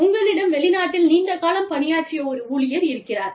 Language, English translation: Tamil, You have an employee, who served in a foreign country, for a long time